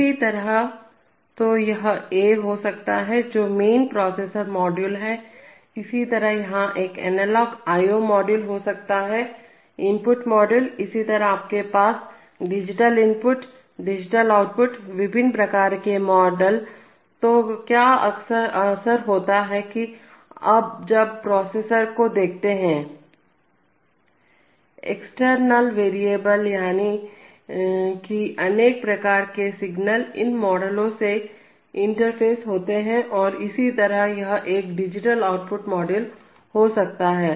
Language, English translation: Hindi, Similarly, so this could be a, this could be the main processor module, similarly this could be an analog i/o module, input module let us say, similarly you can have digital input, digital output, various kinds of modules, so what happens often is that, so now you see this processor, the external variables that is the various signals get interface to these modules and similarly this could be a digital output module